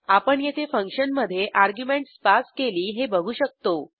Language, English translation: Marathi, Here you can see that we have passed the arguments within the function